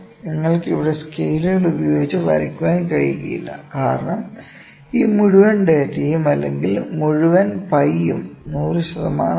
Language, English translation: Malayalam, And, we cannot cheat, ok; we are cannot cheat with scales here, because this whole data this whole pie is 100 percent